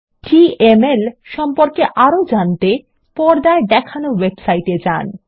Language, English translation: Bengali, To know more about DML, visit the website shown on the screen